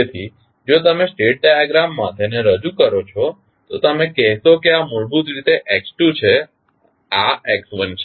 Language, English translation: Gujarati, So, if you represent them in the state diagram you will say that this is basically x2, this is x1